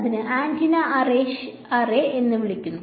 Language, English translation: Malayalam, So, it is called an antenna array ok